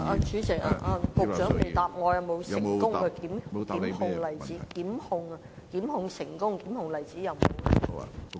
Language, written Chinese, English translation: Cantonese, 主席，局長沒有回答我有否成功檢控的例子。, President the Secretary has not answered my question about cases of successful prosecution